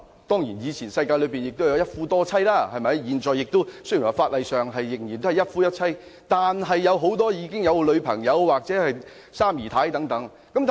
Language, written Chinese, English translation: Cantonese, 當然，以前的社會有一夫多妻的制度，現行的法例雖然是一夫一妻的制度，但很多人也有女朋友或三姨太等。, Certainly polygamy was practised in ancient society . Despite the practice of monogamy under the existing law many people nonetheless keep girlfriends or even mistresses